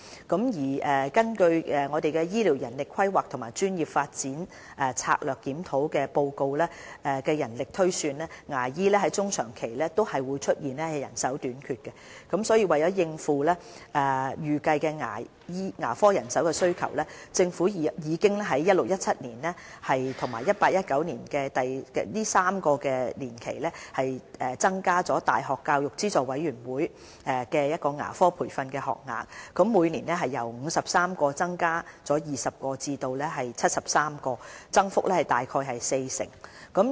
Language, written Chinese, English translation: Cantonese, 根據《醫療人力規劃和專業發展策略檢討報告》的人力推算，牙醫在中長期均會出現人手短缺，所以為應付未來的牙科人手需求，政府已於 2016-2017 學年至 2018-2019 學年的3年期，增加教資會的牙科培訓學額，由每年53個增加20個至73個，增幅約為四成。, It is projected in the report of the Strategic Review on Healthcare Manpower Planning and Professional Development that there will be a general shortage of dentists in the medium to long term . To cater to the future demand for dentists the Government has increased the number of UGC - funded training places for dental students by 20 from 53 to 73 representing an increase of around 40 % in the 2016 - 2017 to 2018 - 2019 triennium